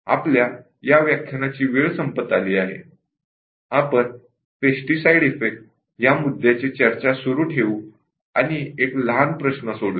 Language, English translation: Marathi, We will just running out of time for this slot; we will continue with this pesticide effect and will do a small problem